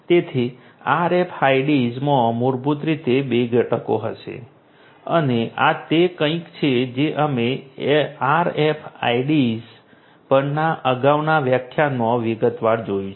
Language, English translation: Gujarati, So, RFIDs basically will have two components and this is something that we have looked at in a previous lecture on RFIDs in detail